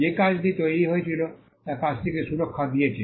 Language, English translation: Bengali, The fact that the work was created granted protection to the work